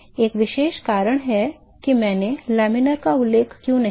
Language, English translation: Hindi, There is a particular reason why I did not mention laminar